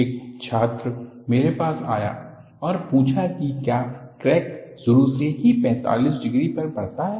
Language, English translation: Hindi, In fact, one of the students, came to me and asked, does the crack, initially propagate at 45 degrees